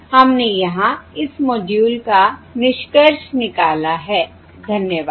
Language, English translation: Hindi, all right, We have concluded this module here, thank you